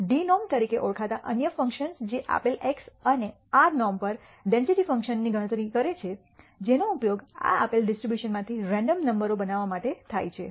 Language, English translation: Gujarati, There are other functions called d norm which computes the density function value at a given x and r norm which are used to generate random numbers from this given distribution